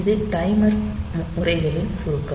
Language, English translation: Tamil, So, this is the summary of this timer modes